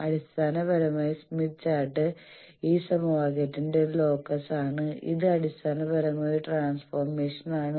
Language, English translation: Malayalam, So basically, smith chart is a locus of this equation and this is basically a transformation